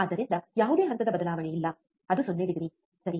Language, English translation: Kannada, So, what is no phase shift it is a 0 degree, right